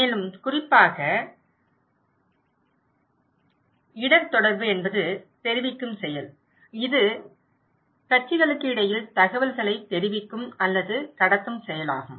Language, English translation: Tamil, More specifically, risk communication is the act of conveying, is an act of conveying or transmitting information between parties